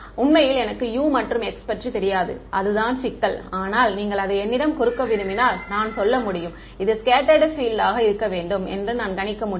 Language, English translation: Tamil, Actually I don't even know U and x that is the problem, but if you want to give it to me I can tell you I can predict that this should be the scattered field